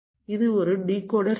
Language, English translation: Tamil, this is a decoder circuit